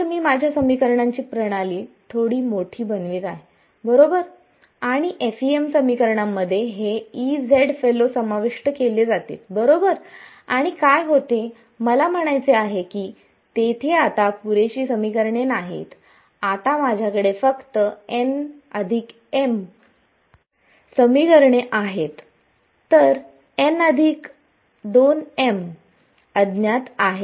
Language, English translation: Marathi, E z so, I am making my system of equations a little bit larger right and the FEM equations are going to involve this E z fellows right and what happens to I mean there are not enough equations right now, I only have n plus m equations whereas a number of unknowns is n plus